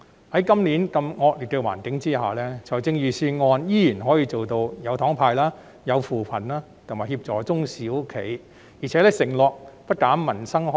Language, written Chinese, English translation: Cantonese, 在今年如此惡劣的環境下，財政預算案仍然可以做到"有糖派"、扶貧、協助中小型企業，並承諾不減民生開支。, This year under such adverse circumstances the Budget still manages to hand out candies alleviate poverty assist the small and medium enterprises and undertake not to reduce livelihood - related spending